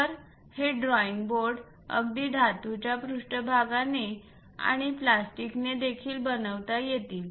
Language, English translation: Marathi, So, these drawing boards can be made even with metallic surfaces and also plastics